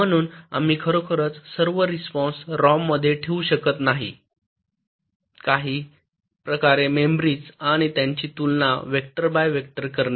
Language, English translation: Marathi, so so we really cannot afford to store all the responses in a ah rom, some kind of a memory and compare them vector by vector